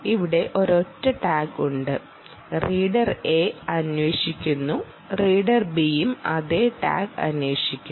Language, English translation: Malayalam, i will show it like this: ah, there is a single tag and reader a is querying and reader b is also querying the same tag